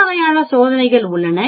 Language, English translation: Tamil, There are many, many types of test